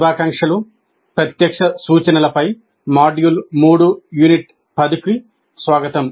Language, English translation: Telugu, Greetings, welcome to module 3, unit 10 on direct instruction